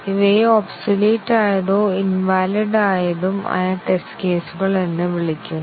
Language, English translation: Malayalam, These are called as the obsolete or invalid test cases